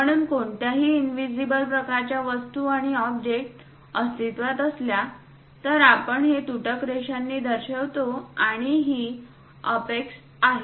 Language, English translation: Marathi, So, any invisible kind of things and the object is present, we show it by dashed lines, and this is the apex